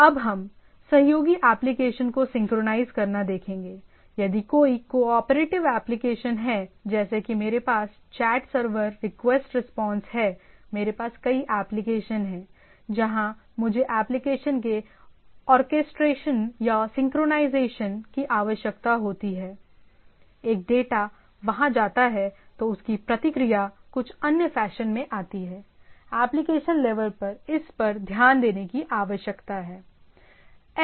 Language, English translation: Hindi, Synchronizing cooperating applications if there is a cooperative applications that like say I have a chat server request response I have multiple applications, where I require orchestration or synchronization of the applications right, one data goes there then their response income in some other fashion that need to be taken care by this at the application level